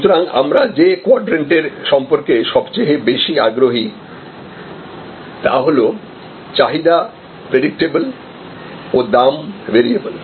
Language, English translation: Bengali, So, the quadrant we are most interested in is this particular quadrant, which is variable price with predictable demand